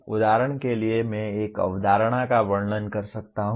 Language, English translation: Hindi, For example I can describe a concept